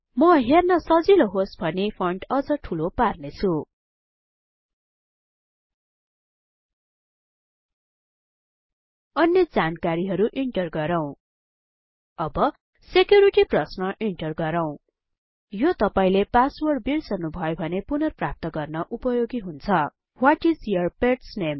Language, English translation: Nepali, I will make the font even bigger so that it is little easier to see Let us now enter other information Let us enter Security question This is useful to retrieve the password in case u forget it Let us choose What is your pets name